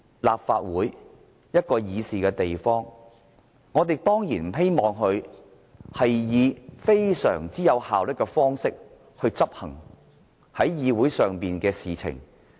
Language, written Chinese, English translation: Cantonese, 立法會是一個議事的地方，我們當然不希望立法會以非常"有效率"的方式處理議會事務。, The Legislative Council is a place to discuss Council business . We certainly do not hope that the Legislative Council will very efficiently handle Council business